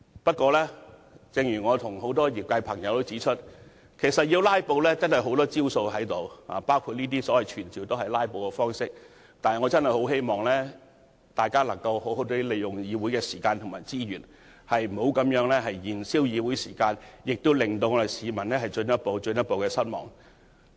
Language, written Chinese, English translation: Cantonese, 正如我和很多業界朋友指出，如果要"拉布"，他們仍有很多招數，當前的議案也是一種"拉布"，但我希望大家好好利用議會的時間和資源，不要繼續燃燒議會的時間，令市民進一步、進一步失望。, As many members in the trade and I have pointed out if they want to do filibusters they still have a lot of ways to do so and the present motion is a kind of filibuster . Yet I hope Members will use the time and resources of the legislature properly and stop consuming the time of this Council for the public will be disappointed further by such practices